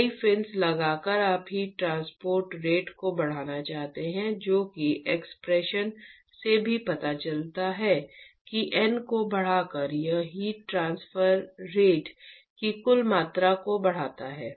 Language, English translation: Hindi, By putting many fins you want to increase the heat transfer rate that is what the expression also shows, that by increasing N, it increases the total amount of heat transfer rate